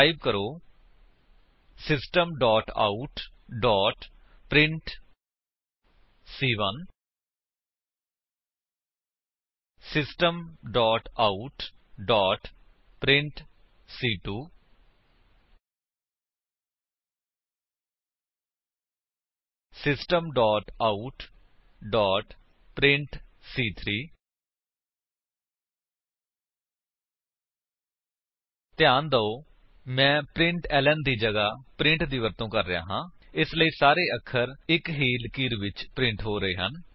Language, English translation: Punjabi, Type: System.out.print System.out.print System.out.print Please note that Im using print instead of println so that all the characters are printed on the same line